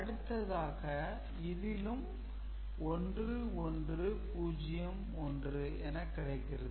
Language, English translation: Tamil, So, that is also giving you 1 1 0 1 right